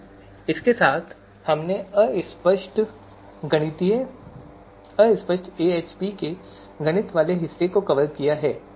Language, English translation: Hindi, So with this we have covered the mathematics part of the extent fuzzy AHP